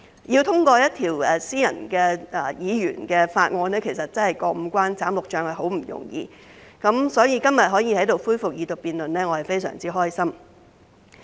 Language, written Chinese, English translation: Cantonese, 要通過一項私人或議員法案，真的要過五關斬六將，殊不容易，所以今天可以在這裏恢復二讀辯論，我感到非常開心。, The passage of a private or Members Bill really has to overcome a lot of obstacles which is no easy task . Therefore I feel glad about the resumption of the Second Reading debate here today